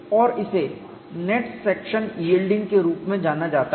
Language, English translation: Hindi, And this is known as net section yielding